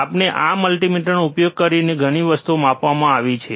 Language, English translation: Gujarati, And we have measure a lot of things using this multimeter